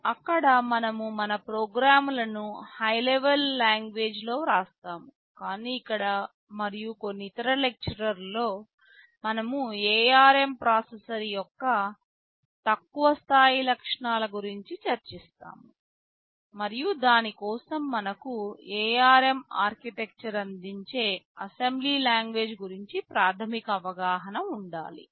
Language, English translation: Telugu, There we shall be writing our programs in a high level language, but here in this and a couple of other lectures we shall be discussing about the low level features of the ARM processor, and for that we need to have a basic idea about the assembly language features that ARM architecture provides